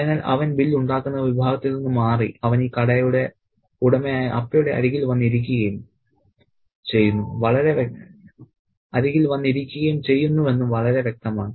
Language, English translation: Malayalam, So, it's very clear that he moves from the billmaking section and he moves and sits beside Appa the owner of the shop